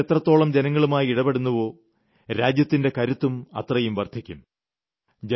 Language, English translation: Malayalam, And the more the governments get connected with the people, the stronger they become